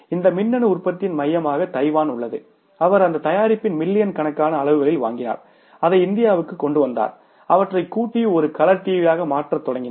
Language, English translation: Tamil, He brought that, he bought that product in millions of units and brought it to India, started assembling those, converting that into a color TV